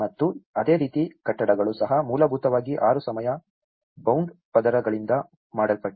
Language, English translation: Kannada, And similarly, buildings are also essentially made of 6 time bound layers